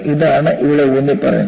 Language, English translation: Malayalam, You know, this is what is emphasized here